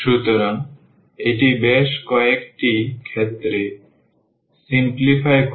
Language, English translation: Bengali, So, this also simplifies in several cases